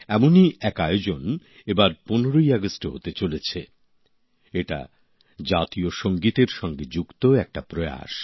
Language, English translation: Bengali, A similar event is about to take place on the 15th of August this time…this is an endeavour connected with the National Anthem